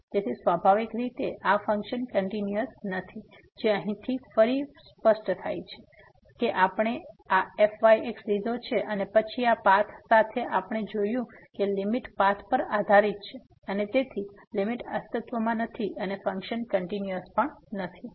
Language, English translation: Gujarati, So, naturally these functions are not continuous, which is clear again from here we have taken this and then along this path we have seen that the limit depends on path and hence the limit does not exist and the function is not continuous